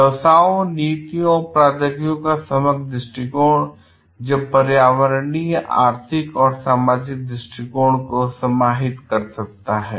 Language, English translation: Hindi, Holistic view of businesses, policies or technologies that encompasses environmental economic and social perspectives